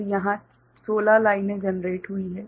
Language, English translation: Hindi, So, you have got 16 lines generated